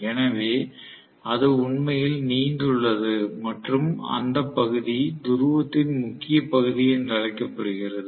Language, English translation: Tamil, So that actually protrudes and that portion is known as the salient portion of the pole